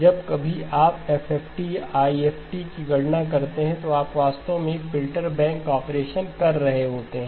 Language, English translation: Hindi, Whenever you compute an FFT or an IFFT, you are actually doing a filter bank operation